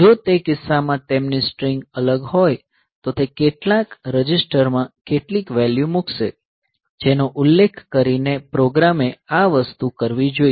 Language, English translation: Gujarati, So, if their strings are different in that case it will put some value into some register mentioning that the program should do this thing